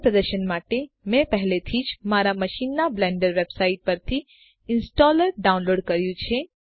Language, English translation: Gujarati, For ease of demonstration, I have already downloaded the installer from the Blender website onto my machine